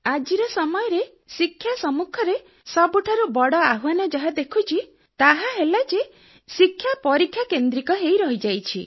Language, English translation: Odia, "Today what I see as the biggest challenge facing the education is that it has come to focus solely on examinations